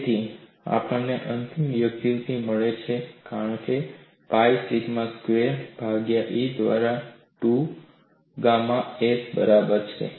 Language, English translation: Gujarati, If you differentiate with respect to 2a, you will get this as pi sigma squared a divided by E equal to 2 gamma s